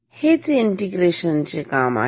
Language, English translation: Marathi, This is what an integrator does